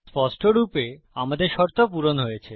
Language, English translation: Bengali, Obviously, our condition has been met